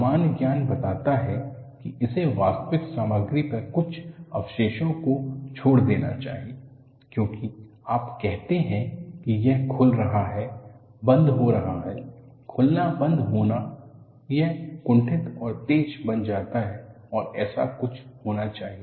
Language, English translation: Hindi, Common sense tells this should leave some residue on the actual material, because you say that it is opening closing, opening closing, opening closing it becomes blunt and sharp something should happen